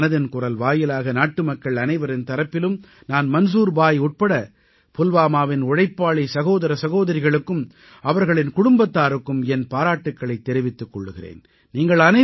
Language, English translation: Tamil, Today, through Mann Ki Baat, I, on behalf of all countrymen commend Manzoor bhai and the enterprising brothers and sisters of Pulwama along with their families All of you are making invaluable contribution in educating the young minds of our country